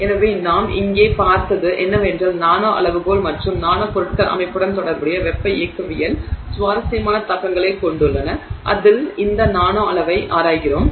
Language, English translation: Tamil, So, what we have seen here is that nano scale and therefore nanomaterials have interesting implications on the thermodynamics associated with the system in which we are exploring this nanoscale and it really depends on that system